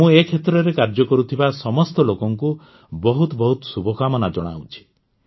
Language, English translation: Odia, I wish all the very best to all the people working in this field